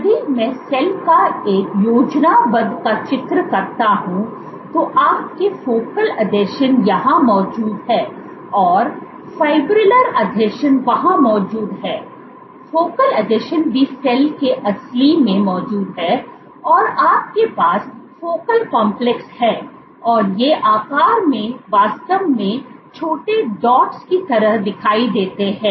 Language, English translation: Hindi, If I would to draw a schematic of the cell, your focal adhesions are present here, and the fibrillar adhesions are present here, focal adhesions are also present at the real of the cell, and you have focal complexes these appear like dots yeah really small in size